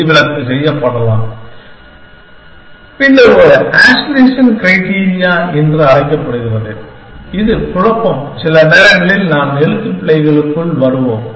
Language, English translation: Tamil, And the exception can be made and then what is called as an aspiration criteria, which confusion sometimes I get into spelling